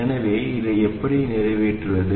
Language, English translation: Tamil, So how do we accomplish this